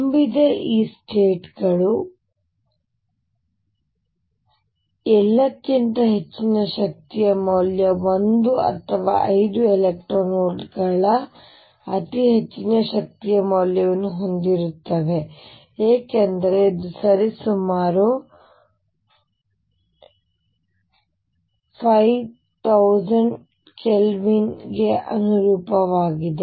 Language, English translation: Kannada, This states that are filled are all the way up to a very high energy value of 1 or 5 electron volts very high energy value because this corresponds roughly 50000 Kelvin